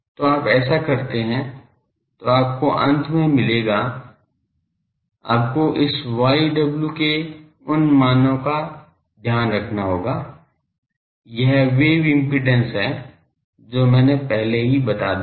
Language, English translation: Hindi, So, you do this you will get finally, you will have to put those things values of this y w, this wave impedance that I have already told